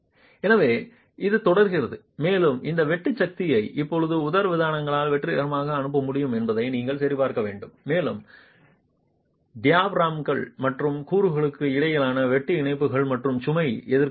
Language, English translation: Tamil, So this continues and you have to check if this shear force can now be transmitted successfully by the diaphragms and also the connections, the shear connections between the diaphragms and the components and the load assisting components